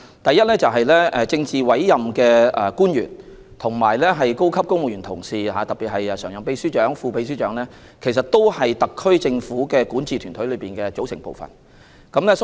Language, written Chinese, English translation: Cantonese, 第一，政治委任官員及高級公務員，特別是常任秘書長及副秘書長，都是特區政府管治團隊的組成部分。, First politically appointed officials and senior civil servants in particular Permanent Secretaries and Deputy Secretaries form part of the governing team of the HKSAR Government